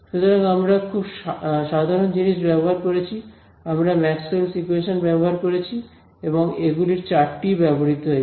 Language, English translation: Bengali, So, we used very simple things, we use Maxwell’s equations and all four of them were used right